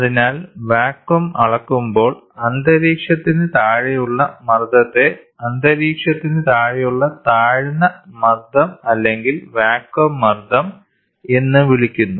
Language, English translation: Malayalam, So, in measurement of vacuum, pressure below atmosphere are generally termed as low pressure or vacuum pressure, below the atmosphere